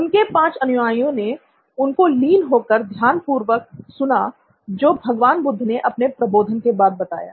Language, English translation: Hindi, So, his 5 students listened to him in rapt attention to what Lord Buddha had to say after his enlightenment